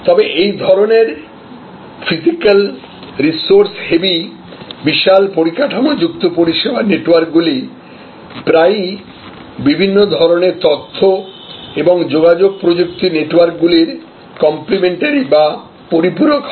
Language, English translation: Bengali, However, these kinds of purely physical, resource heavy, big infrastructure type of service networks are now often complemented by different kinds of information and communication technology networks